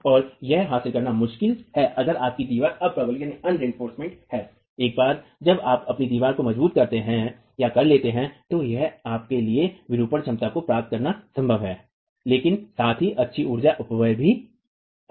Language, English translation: Hindi, That's why once you reinforce your wall, it's then possible for you to achieve the deformation capacity but also have good energy dissipation